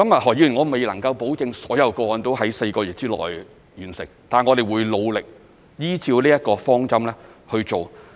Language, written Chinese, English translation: Cantonese, 何議員，我未能保證所有個案都能在4個月內完成，但我們會努力依照這個方針去做。, Mr HO I cannot assure you that all cases can be processed in four months but we will try our best in this direction